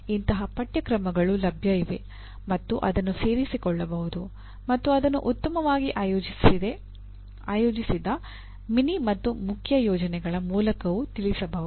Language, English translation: Kannada, There are courses available and it can be included and it can also be addressed through well orchestrated mini and main projects